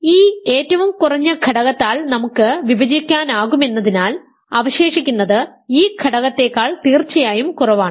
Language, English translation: Malayalam, Because we can divide by this least element, the reminder is a number strictly less than this element